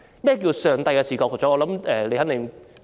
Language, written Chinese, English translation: Cantonese, 何謂上帝的視覺呢？, What is the definition of Gods view?